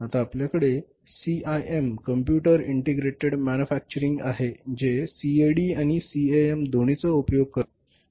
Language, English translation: Marathi, Now we have the CIM, computer integrated manufacturing utilizes both CAD and CAM